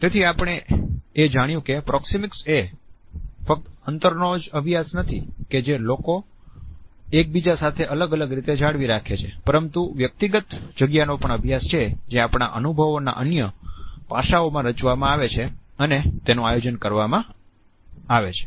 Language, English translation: Gujarati, So, we find that proxemics is not only a study of the distance, which people maintain with each other in different ways, but it is also a study of a space as it is being created and organized in other aspects of our experiences